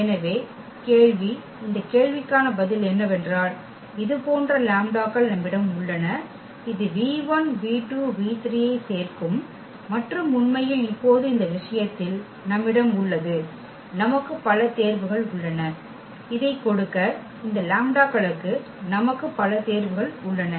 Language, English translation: Tamil, So, the question is the answer to this question is that we do have such lambdas which will add up to this v 1 v 2 v 3 and indeed now in this case we have ; we have many choices; we have many choices for these lambdas to give this v 1 v 1 v 1